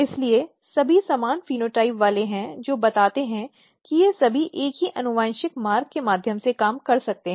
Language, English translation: Hindi, So, all are having similar phenotype which suggest that all of these might be working through the same pathway same genetic pathway